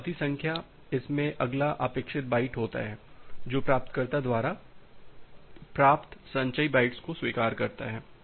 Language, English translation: Hindi, So, the acknowledgement number, it contains the next expected byte in order which acknowledges the cumulative bytes that been received by the receiver